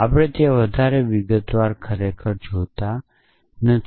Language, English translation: Gujarati, We not really go into too much detail there